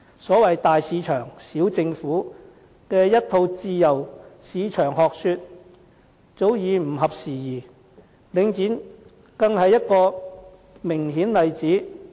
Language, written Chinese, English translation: Cantonese, 所謂"大市場，小政府"的一套自由市場學說，早已不合時宜，領展便是一個明顯例子。, This theory of big market small government in a free market has become obsolete for a long time and Link REIT is a case in point